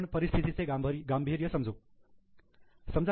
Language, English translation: Marathi, Now you can really understand the gravity of the situation